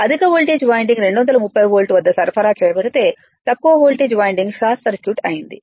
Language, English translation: Telugu, It is given that is the high voltage winding is supplied at 230 volt with low voltage winding short circuited